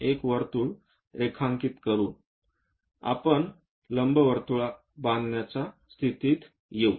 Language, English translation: Marathi, By drawing one more circle, we will be in a position to construct an ellipse